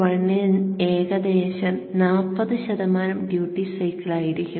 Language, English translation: Malayalam, 1 it will be around 40% duty cycle